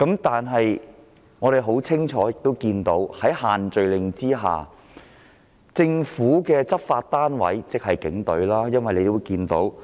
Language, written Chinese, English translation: Cantonese, 但是，市民亦清楚看到在限聚令下，政府的執法單位即警隊的所為。, However members of the public have also witnessed clearly what the law enforcement agency of the Government has done to enforce the restrictions